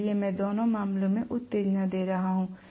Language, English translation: Hindi, So I am going to give excitation in both the cases